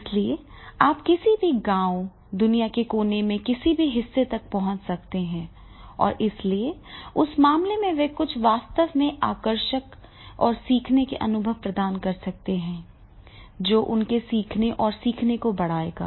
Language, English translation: Hindi, So therefore you can access to any village, any part of the corner of the globe and therefore in that case they can provide some really engaging and learning experiences and that will enhance these particular activity and they will learn learning will be more and then they themselves